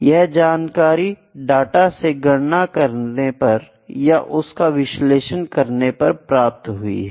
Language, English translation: Hindi, This is information is extracted from the data by calculations or by analysis, ok